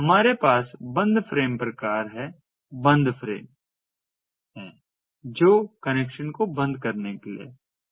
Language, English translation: Hindi, corresponding to this, we have the closed frame type closed frame which is for closing the connection, which is for closing the connection